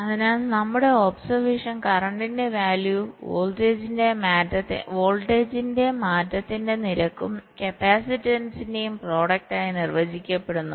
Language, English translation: Malayalam, so our observation is: the value of current is defined as the product of the capacitance and the rate of change of voltage